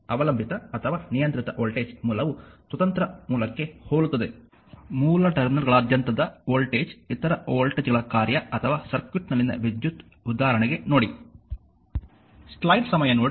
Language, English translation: Kannada, So, and a dependent or controlled voltage source is similar to an independent source, except that the voltage across the source terminals is a function of other your what you call other voltages or current in the circuit for example, look